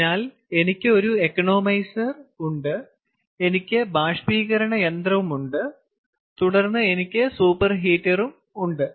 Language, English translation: Malayalam, ok, so i have economizer, then i have the evaporator and then i have the super heater